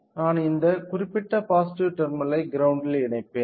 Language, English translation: Tamil, I will connect I will connect this particular positive terminal to ground